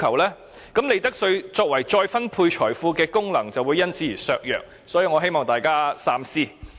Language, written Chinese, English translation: Cantonese, 這樣利得稅再分配財富的功能便會因而削弱，所以我希望大家三思。, In that case the function of utilizing profits tax to redistribute wealth will thus be undermined . I therefore hope that Members will think twice